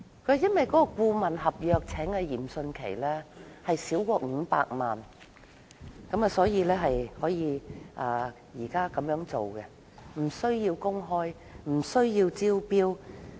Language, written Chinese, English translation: Cantonese, 政府解釋，由於聘請嚴迅奇的顧問費用少於500萬元，所以無須公開，亦無須招標。, According to the Government as the consultancy fee for the appointment of Rocco YIM was less than 5 million it was not necessary to disclose the appointment or go through the tender process